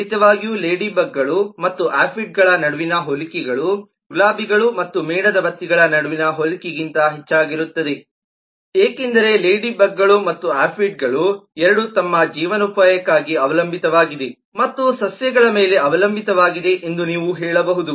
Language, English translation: Kannada, of course, between the similarities between the ladybugs and aphids are more than the similarities between roses and candles, because ladybugs and aphids, you can say both are dependant for their livelihood and dependant on the plants